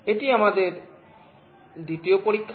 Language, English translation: Bengali, This is our second experiment